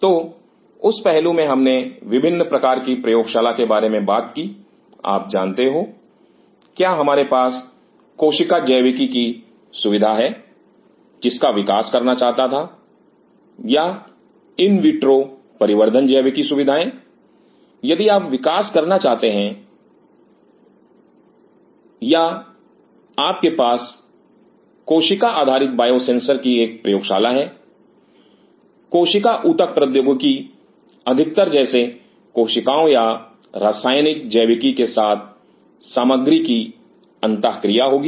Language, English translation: Hindi, So, in that aspect we talked about the different kinds of lab like you know whether we have a cell biology facility, wanted to develop or in vitro development biology facilities if you want to develop or you have a lab on cell based biosensors, cell tissue engineering like mostly on the material interaction with the cells or chemical biology